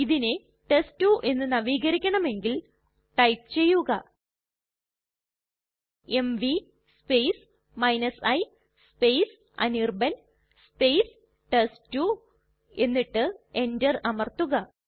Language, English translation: Malayalam, This file we also want to renew as test2 We will type mv i anirban test2 and press enter